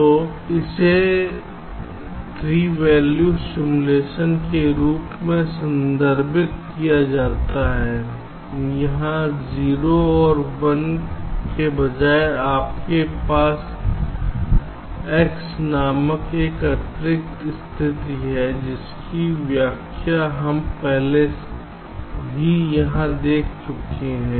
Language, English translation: Hindi, so this is referred to as timed three valued simulation, where instead of zero and one you have an additional state called x, whose interpretation we have already seen here